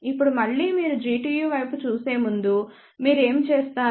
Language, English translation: Telugu, Now, before again you look at G tu what do you do